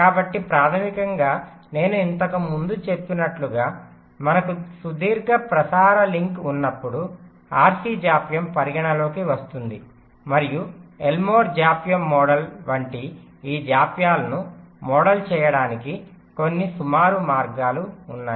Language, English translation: Telugu, so basically, as i mentioned earlier, that when we have a long transmission link, the rc delay comes into the picture and there are some approximate ways to model this delays, like the lmo delay model